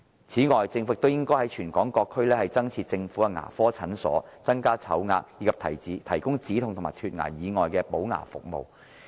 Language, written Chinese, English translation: Cantonese, 此外，政府亦應在全港各區增設政府的牙科診所，增加籌額，以及提供止痛和脫牙以外的補牙服務。, Furthermore the Government should also provide additional government dental clinics in various districts increase the number of chips and provide filling services in addition to pain relief and teeth extraction services